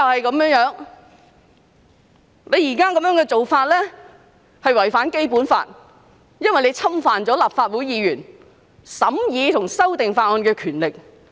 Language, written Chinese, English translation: Cantonese, 擬議安排有違《基本法》，因為侵犯了立法會議員審議和修訂法案的權力。, The proposed arrangement is in breach of the Basic Law as it infringes on the power of Legislative Council Members to scrutinize and amend bills